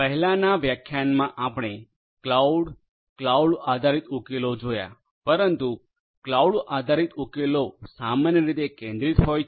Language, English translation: Gujarati, In the previous lecture we looked at cloud, cloud based solutions, but cloud based solutions are typically centralized